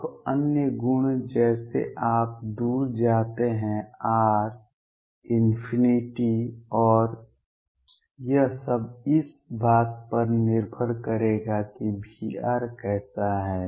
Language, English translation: Hindi, Now other properties as you go far away r tend into infinity and all that those will depend on what V r is like